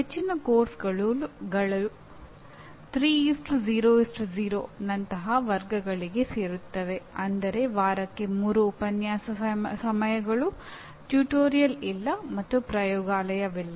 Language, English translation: Kannada, Most of the courses fall into these categories like 3:0:0 which means 3 lecture hours per week, no tutorial, and no laboratory